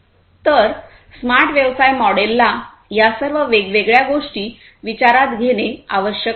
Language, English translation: Marathi, So, a smart business model will need to take into consideration all of these different things